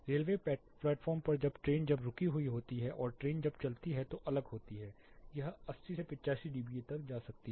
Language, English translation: Hindi, Railway platform and the train is stationery again when the train moves it is different it can go to 80 85 dBA